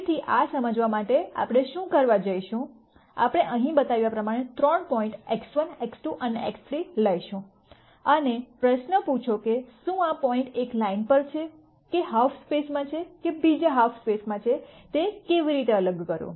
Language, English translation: Gujarati, So, to understand this, what we are going to do is, we are going to take three points as shown here X 2 X 1 and X 3 and ask the question as to how do I distinguish whether the point is on a line or to one half space or the other